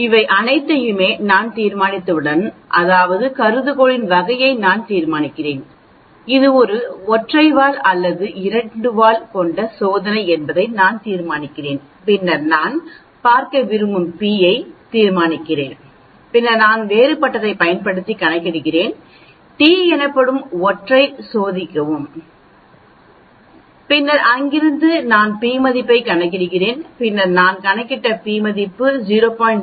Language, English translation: Tamil, Once I decide on all these, that means I decide on the type of hypothesis, I decide on whether it is a single tailed or a two tailed test, then I decide on the p I want to look at, then I calculate using different test something called t, and then from there I will calculate may be the p value and then I will say whether the p value which I have calculated is less than 0